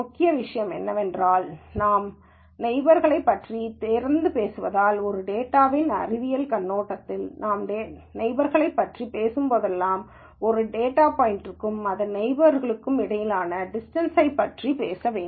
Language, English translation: Tamil, The key thing is that because we keep talking about neighbors, and from a data science viewpoint whenever we talk about neighbors, we have to talk about a distance between a data point and its neighbor